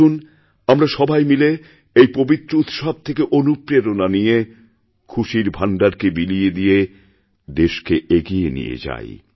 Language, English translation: Bengali, Let us come together and take inspiration from these holy festivals and share their joyous treasures, and take the nation forward